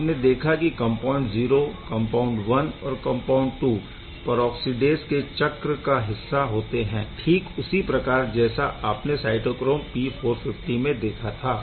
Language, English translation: Hindi, As you can see compound 0, compound 1 and compound 2 all are part of the peroxidase cycle just like what you have seen in case of cytochrome P450